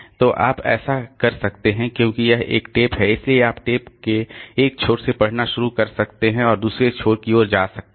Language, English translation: Hindi, So, you can, so since this is a tape, so you can start reading from one end of the tape and go towards the other end